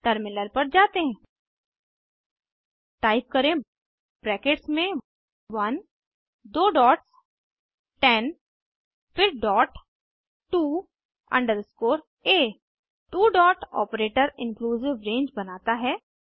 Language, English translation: Hindi, Type Within brackets 1 two dots 10 then dot to underscore a Two dot operator creates inclusive range